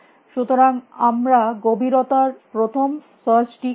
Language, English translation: Bengali, So, we are doing depth first search